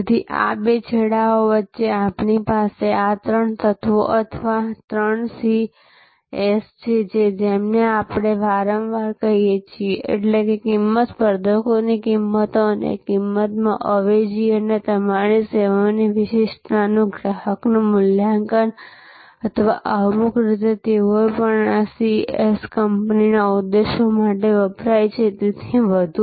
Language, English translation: Gujarati, So, between these two ends, we have this three elements or three C’S as we often call them; that is cost, competitors prices and price substitutes and customers assessment of the uniqueness of your service or in some way, they also these C’S stands for the companies objectives and so on